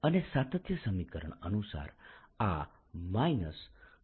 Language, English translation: Gujarati, now apply continuity equation